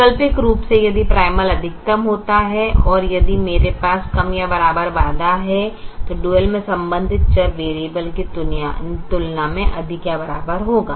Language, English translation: Hindi, alternately, if the primal happens to be maximization and if i have a less than or if less than equal to constraint, then the corresponding variable in the dual will be a greater than or equal to variable